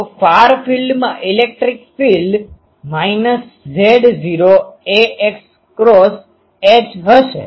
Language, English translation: Gujarati, So, electric field in the far field will be minus Z naught ar cross H